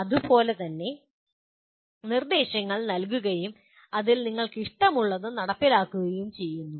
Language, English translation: Malayalam, So same way, instructions are given and you implement what you like within that